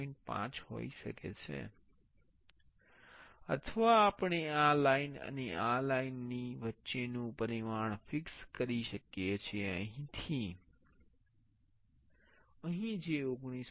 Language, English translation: Gujarati, 5 or we can fix the dimension between this line and this line, from here to here that is 19